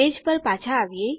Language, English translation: Gujarati, Back to our page